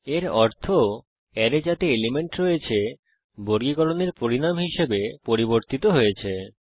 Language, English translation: Bengali, It means that the array which contains the elements is changed as a result of sorting